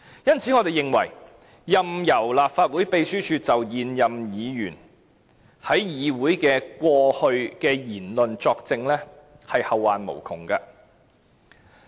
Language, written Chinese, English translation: Cantonese, 因此，我們認為，任由立法會秘書處就現任議員過去在議會所作出的言論作證，是後患無窮的。, Therefore we are of the view that allowing the staff of the Legislative Council Secretariat to give evidence in respect of matters previously said by incumbent Members will invite endless trouble